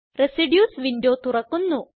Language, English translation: Malayalam, Residues window opens